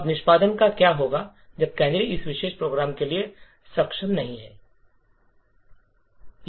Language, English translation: Hindi, Now what would happen to the execution when the canaries are not enabled for this particular program